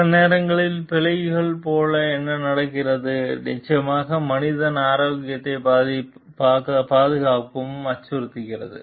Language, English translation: Tamil, Sometimes what happens like the bugs of course, threatens the human health and safety